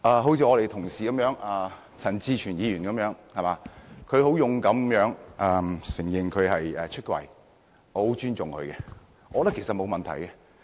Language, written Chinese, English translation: Cantonese, 好像我們的同事陳志全議員般，他很勇敢地"出櫃"，我很尊重他，我覺得沒有問題。, Like our colleague Mr CHAN Chi - chuen he has come out with great courage . Not only do I treat him with great respect but I do not see any problem with him